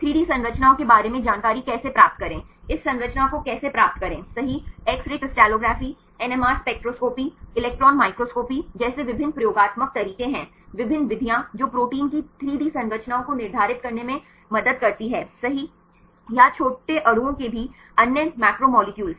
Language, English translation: Hindi, How to get this structures right to how to obtain the information regarding the 3D structures right, there is various experimental methods, like X ray crystallography, NMR spectroscopy, electron microscopy, the different methods which help right to determine the 3D structures of proteins or other macromolecules even of small molecules